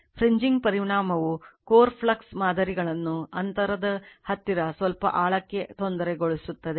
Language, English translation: Kannada, The fringing effect also disturbs the core flux patterns to some depth near the gap right